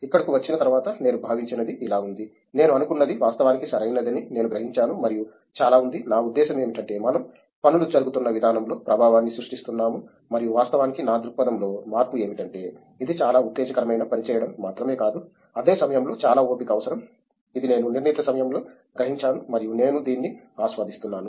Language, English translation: Telugu, After coming here, what I felt was like, I actually realized that what I thought was actually correct and yes there is a lot of, I mean we are creating impact in the way things were being done and in fact, what has changed in my perspective is that it’s not just about you know doing something very exciting, but then at the same time it requires lot of patience, which I realized in the due course of time and I am enjoying this